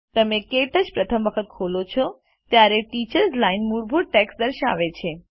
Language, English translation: Gujarati, The first time you open KTouch, the Teachers Line displays default text